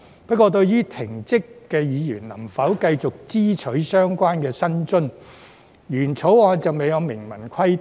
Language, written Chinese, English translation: Cantonese, 不過，對於被停職議員能否繼續支取相關議員薪津，原草案就未有明文規定。, However the original Bill has not expressly provided whether the member whose functions and duties have been suspended may continue to receive remuneration